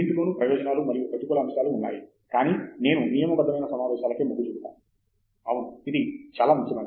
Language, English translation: Telugu, There are benefits and negative points about both, but I would say regular meetings, yes; very important